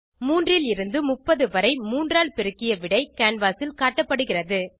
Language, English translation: Tamil, Multiples of 3 from 3 to 30 are displayed on the canvas